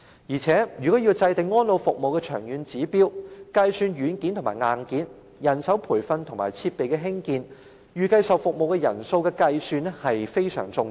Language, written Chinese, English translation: Cantonese, 再者，如果要制訂安老服務的長遠指標，計算軟件和硬件、人手培訓和設備興建，以及預計接受服務的人數便相當重要。, Moreover if we are to lay down a long - term target for elderly care services it is very important that we assess the software and hardware manpower training and facility construction and project the number of service recipients